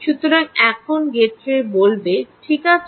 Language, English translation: Bengali, ok, so now i will say gateway, alright